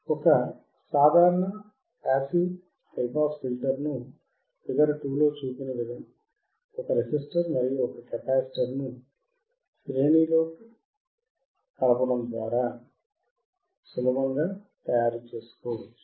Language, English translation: Telugu, A simple passive high pass filter can be easily made by connecting together in series a single resistor with a single capacitor as shown in figure 2